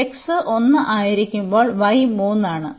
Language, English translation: Malayalam, So, when x is 1 the y is 3